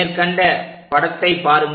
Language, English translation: Tamil, Let us look at this picture